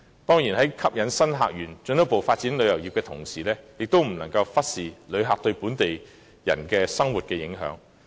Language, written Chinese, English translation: Cantonese, 當然，在吸引新客源，進一步發展旅遊業之餘，也不能忽視旅客對本地市民生活的影響。, Certainly while efforts are made to attract new visitor sources and further the development of tourism we cannot neglect the impact caused by visitors on the living of the local people